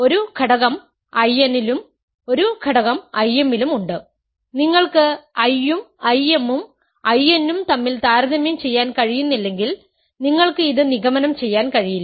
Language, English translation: Malayalam, One element is in I n, one element is in I m unless you are able to compare I and I n and I m, you cannot conclude this